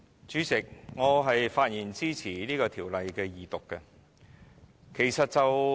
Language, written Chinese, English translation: Cantonese, 主席，我發言支持《2017年僱傭條例草案》二讀。, President I speak to support the Second Reading of the Employment Amendment Bill 2017 the Bill